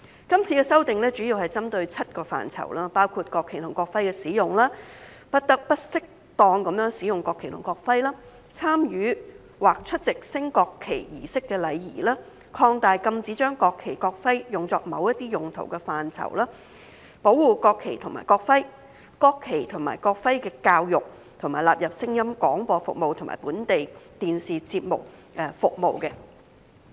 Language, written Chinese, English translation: Cantonese, 今次修訂主要針對7個範疇：國旗及國徽的使用；不得不適當使用國旗及國徽；參與或出席升國旗儀式的禮儀；擴大禁止將國旗、國徽用作某些用途的範圍；保護國旗及國徽；國旗及國徽教育；以及納入聲音廣播服務及本地電視節目服務。, The current amendment focuses on seven areas use of national flag and national emblem; national flag and national emblem not to be used inappropriately; etiquette for taking part in or attending national flag raising ceremony; expanded scope of prohibition on certain uses of national flag and national emblem; protection of the national flag and national emblem; education in national flag and national emblem; and inclusion in sound broadcasting and domestic television programme services